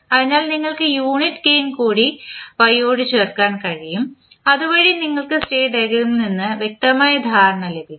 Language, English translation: Malayalam, So, you can add y with unit gain so that you can have the clear understanding from the state diagram